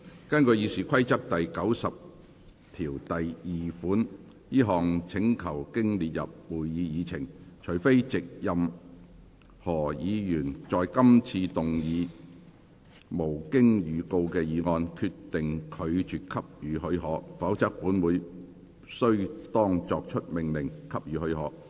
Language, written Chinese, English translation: Cantonese, 根據《議事規則》第902條，這項請求經列入會議議程，除非藉任何議員在今次會議動議無經預告的議案，決定拒絕給予許可，否則本會須當作已命令給予許可。, In accordance with Rule 902 of the Rules of Procedure RoP upon the placing of the request on the Agenda the Council shall be deemed to have ordered that the leave be granted unless on a motion moved without notice at this meeting by any Member the Council determines that such leave shall be refused